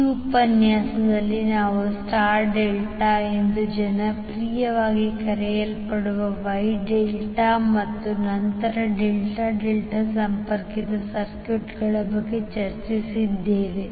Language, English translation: Kannada, In this session we discussed about the Wye Delta that is popularly known as star delta and then delta delta connected circuits